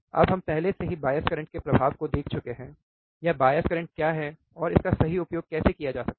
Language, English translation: Hindi, Now we have already seen the effect of bias current, or what is the bias current and how it can be used right